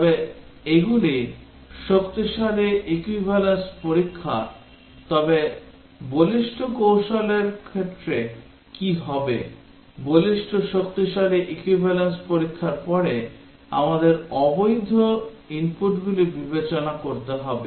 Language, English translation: Bengali, So these are strong equivalence testing, but what about robust technique, robust strong equivalence testing then we will have to consider the invalid inputs